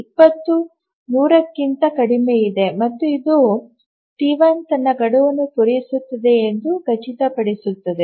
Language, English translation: Kannada, So, 20 is less than 100 and this ensures that T1 would meet its deadline